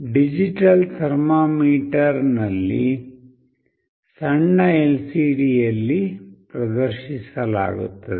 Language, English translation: Kannada, In a digital thermometer, the temperature is displayed on a tiny LCD